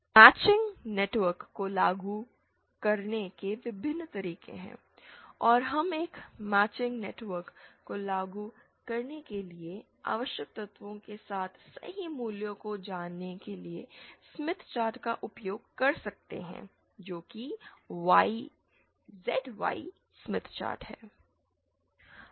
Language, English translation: Hindi, There are various ways of implementing a matching network and we can use the Smith chart that is the ZY Smith chart to know the correct values of the elements that are required for implementing a matching network